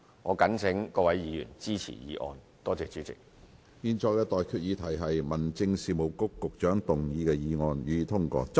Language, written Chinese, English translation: Cantonese, 我現在向各位提出的待議議題是：民政事務局局長動議的議案，予以通過。, I now propose the question to you and that is That the motion moved by the Secretary for Home Affairs be passed